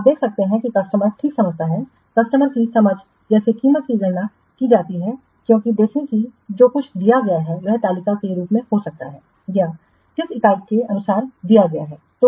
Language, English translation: Hindi, What are the advantages in this approach you can see that the customer understands, customer understanding of how price is calculated because see everything is given maybe in the form of a table or sort unit wise this is given